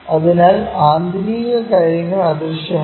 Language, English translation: Malayalam, So, internal things are invisible